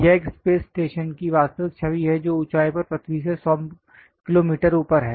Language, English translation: Hindi, This is the actual image of a space station which is above 100 kilometres from the earth at an altitude